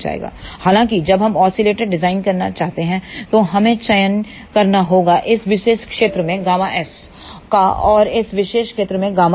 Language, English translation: Hindi, However, however, when we want to design oscillator, we have to choose the values of gamma s in this particular region and for gamma L in this particular region